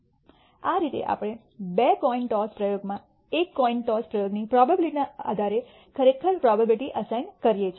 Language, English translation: Gujarati, 25 and this way we actually assign the probabilities for the two coin toss experiment from the probability assignment of a single coin toss experiment